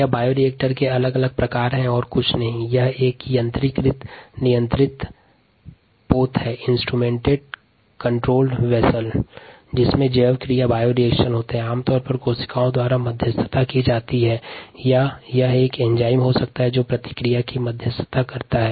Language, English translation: Hindi, ah, bioreactor is nothing but an instrumented, controlled vessel in which bioreactions take place, typically mediated by cells, or it could be an enzyme that mediates the reaction